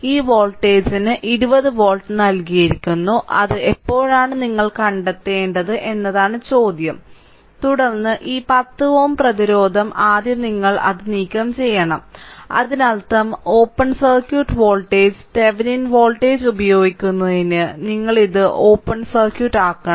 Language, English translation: Malayalam, And this voltage is given 20 volt now question is when it will be your you have to find out, then this 10 ohm resistance say this 10 ohm resistance first you have to remove it; that means, you have to make it open circuit to get the open circuit voltage uses Thevenin voltage